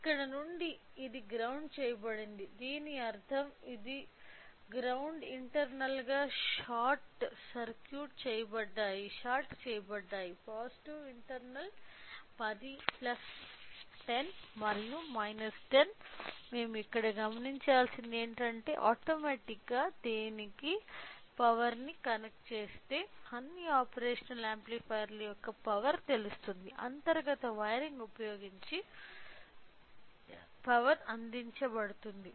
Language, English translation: Telugu, So, since here it is grounded which means that this and this grounds are same internally shorted whereas, the positive internal plus 10 and minus 10 whatever you noticed here if we connect a power to this automatically the power to the all the operational amplifiers will be you know will be provided using internal wiring right